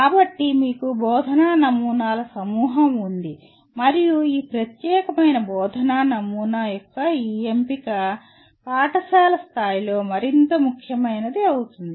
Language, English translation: Telugu, So you have a bunch of teaching models and maybe different these choice of this particular teaching model will become important more at school level